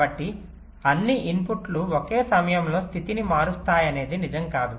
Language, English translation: Telugu, so it is not necessarily true that all the inputs will be changing state at the same time